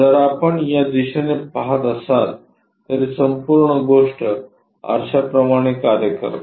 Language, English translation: Marathi, If we are observing from this direction, this entire thing acts like mirror